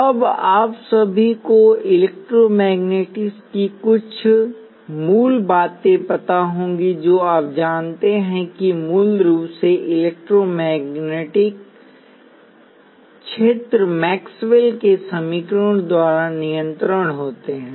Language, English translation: Hindi, Now, all of you will know some basics of electromagnetic you know that basically the electromagnetic fields are governed by Maxwell’s equations